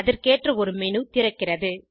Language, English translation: Tamil, A Contextual menu opens